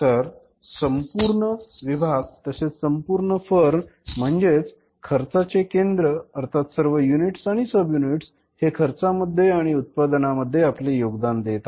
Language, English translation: Marathi, So, whole department, whole firm means cost center all the units subunits which are causing the cost or which are contributing towards the cost of the production of the firm that is one